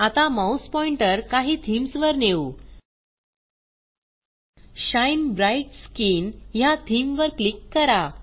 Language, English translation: Marathi, Let us hover our mouse pointer over some themes.ltPausegt Now, click on the theme Shine Bright Skin